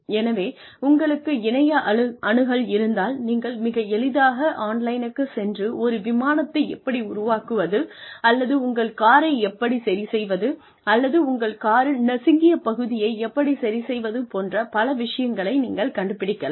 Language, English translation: Tamil, So, if you have access to the internet, you can very easily go online, and find out, how to say, build an Airplane, or fix your car, or fix a dent in your car, I mean different things